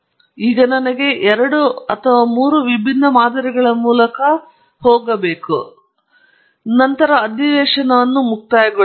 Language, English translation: Kannada, Now, let me go through two or three different models and then will conclude the session